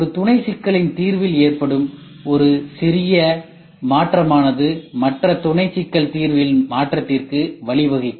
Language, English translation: Tamil, When a small change in the solution of one sub problem can lead to a change in other sub problem solution so be careful